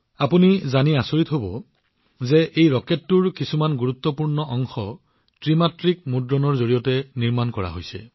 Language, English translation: Assamese, You will be surprised to know that some crucial parts of this rocket have been made through 3D Printing